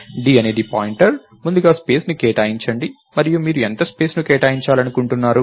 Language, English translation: Telugu, d is a pointer, first allocate space and how much space do you want to allocate